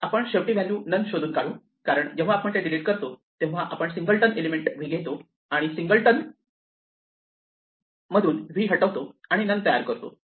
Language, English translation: Marathi, What we will end up with is finding a value none, because when we delete it from here, it is as though we take a singleton element v and delete v from a singleton and will create none none